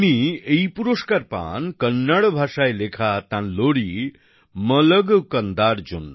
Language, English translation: Bengali, He received this award for his lullaby 'Malagu Kanda' written in Kannada